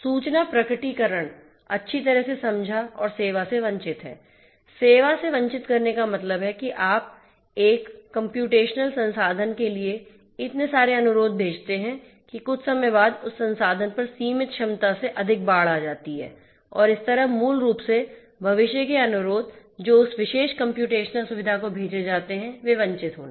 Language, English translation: Hindi, Information this disclosure is well understood and denial of service; denial of service means like you know you send so many requests to a computational resource that after some time that resource is over flooded with the limited capacity that it has and that is how basically the future requests that are sent to that particular computational facility, those are going to be denied